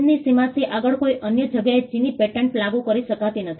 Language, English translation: Gujarati, A Chinese patent cannot be enforced in any other place beyond the boundaries of China